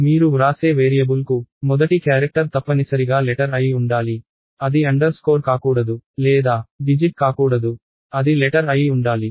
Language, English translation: Telugu, The first character for a variable that you have, that you write must be a letter, it cannot be underscore or it cannot be a digit it has to be a letter